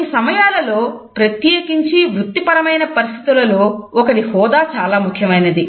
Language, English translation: Telugu, In certain scenarios particularly in professional situations one status is also important